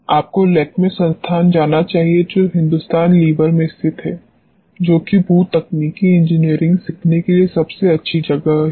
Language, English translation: Hindi, You should go to the Lakme institute which is located in Hindustan levers that is the best place to learn geotechnology engineering